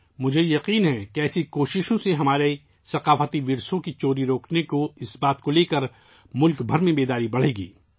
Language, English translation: Urdu, I am sure that with such efforts, awareness will increase across the country to stop the theft of our cultural heritage